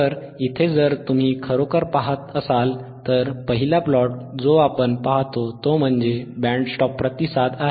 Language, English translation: Marathi, So, here if you really see, the first one that is this particular plot wthat we see is here is the band stop response